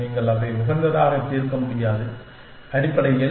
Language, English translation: Tamil, You cannot solve it optimally, essentially